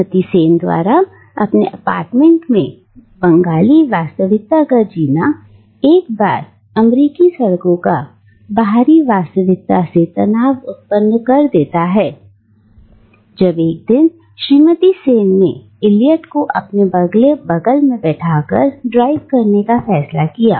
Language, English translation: Hindi, And the tension between the Bengali in a reality that Mrs Sen creates within her apartment and the outside reality of the American roads reach a breaking point when one day Mrs Sen decides to drive herself with Eliot sitting next to her